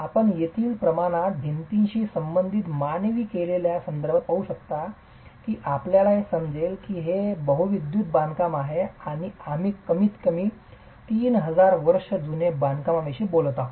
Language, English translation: Marathi, As you can see with respect to the scale there, the human scale with respect to the wall, you will appreciate that it is a multi storey construction and we are talking of a construction that is at least 3,000 years old and this sits in the middle of the desert